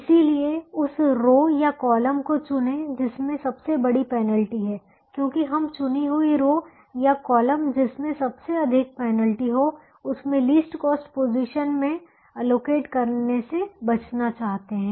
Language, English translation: Hindi, so choose the row or column that has the largest penalty, because that large penalty we want to avoid by being able to allocate in the least cost position in the chosen row or column that has the largest penalty